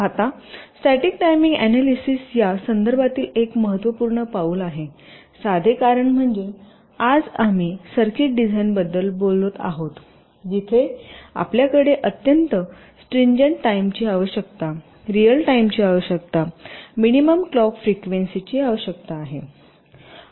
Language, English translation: Marathi, static timing analysis is a very important step in this respect because of the simple reason is that today we are talking about circuit designs where we have very stringent timing requirements real time requirements, minimum clock frequency requirements, so on